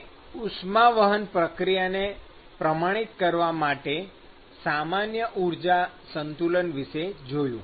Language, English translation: Gujarati, So, we looked at the general energy balance to quantify conduction process